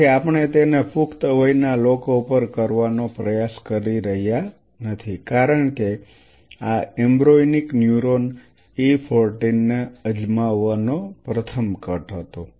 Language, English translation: Gujarati, So, we are not trying to do it on adults because this was the very first cut one has to try it out embryonic neuron E 14